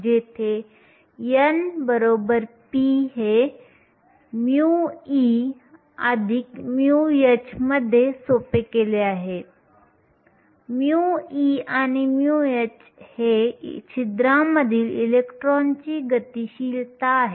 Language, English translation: Marathi, Where n is equal to p this simplifies into mu e plus mu h, mu e and mu h are the mobilities of the electrons in the holes